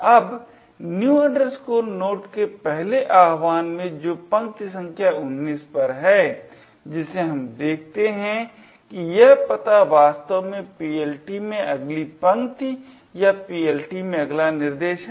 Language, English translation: Hindi, Now, in the first invocation of new node which is at line number 19 what we notice is that this address is in fact the next line in the PLT or the next instruction in the PLT